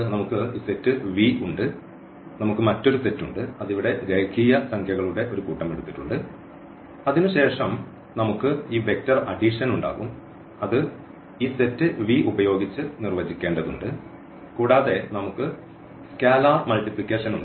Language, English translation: Malayalam, We have this set of V, we have another set which we have taken here the set of real numbers and then we will have this vector addition which we have to define with this set V and we have scalar multiplication